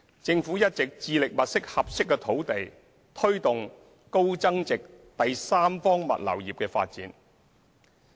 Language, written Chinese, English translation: Cantonese, 政府一直致力物色合適土地，推動高增值第三方物流業的發展。, The Government has been committed to identifying suitable land and promoting the development of high value - added third party logistics industry